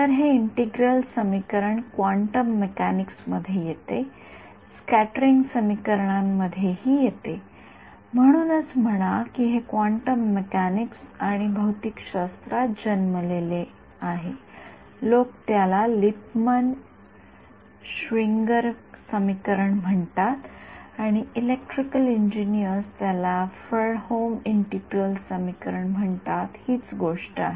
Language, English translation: Marathi, So, this integral equation that we got comes in quantum mechanics scattering equations also; so, say this is the same Born from quantum mechanics and the physics people call it Lippmann Schwinger equation and electrical engineers call it Fredholm integral equation this is the same thing